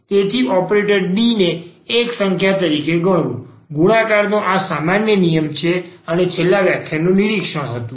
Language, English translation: Gujarati, So, treating the operator D as a number, the ordinary this laws of multiplication works and this was the observation from the last lecture